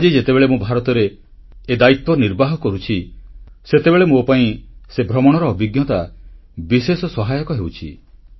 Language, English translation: Odia, And now, when I am shouldering this responsibility in India, that travel is coming in very handy and proving to be very useful